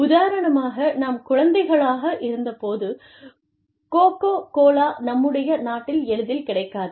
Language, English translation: Tamil, For example, when we were children, coke, was not as easily available in the country